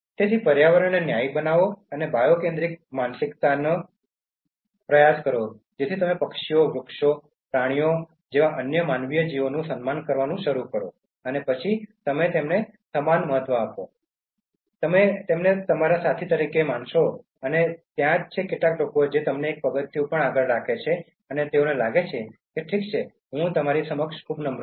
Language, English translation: Gujarati, So be fair to the environment, try to have this bio centric mind set where you start respecting other non human creatures that is birds, trees, animals and then you give them equal importance, you treat them as your peer and there are some people who even keep them one step ahead and they even feel that okay I am very humbled before you